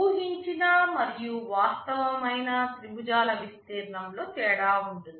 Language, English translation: Telugu, There will be a difference in the area of the expected and actual triangles